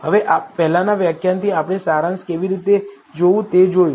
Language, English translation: Gujarati, Now, from the earlier lecture we saw how to look at the summary